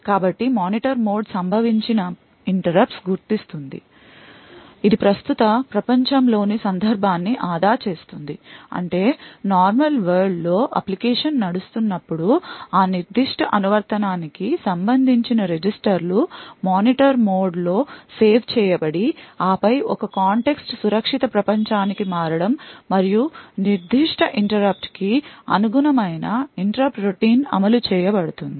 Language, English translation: Telugu, So, the Monitor mode will identify the interrupt that has occurred it would save the context of the current world that is if when application is running in the normal world the registers corresponding to that particular application is saved in the Monitor mode and then there is a context switch to the secure world and the interrupt routine corresponding to that particular interrupt is then executed